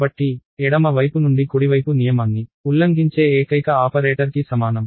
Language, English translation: Telugu, So, equal to is the only operator that violates the left to right rule